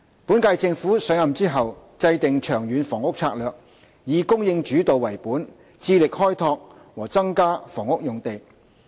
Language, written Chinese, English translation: Cantonese, 本屆政府上任後，制訂《長遠房屋策略》，以"供應主導"為本，致力開拓和增加房屋用地。, After taking office the current - term Government has formulated the supply - led Long Term Housing Strategy dedicated to developing and increasing housing sites